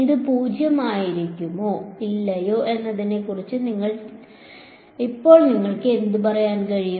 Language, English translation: Malayalam, Now what can you say about this whether will this be 0 or not